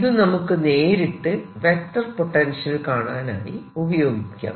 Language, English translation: Malayalam, let us then directly use this to calculate the vector potential